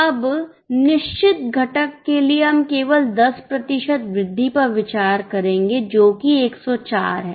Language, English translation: Hindi, Now for the fixed component we will just consider 10% rise which is 14